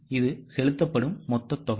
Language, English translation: Tamil, Take the total of payments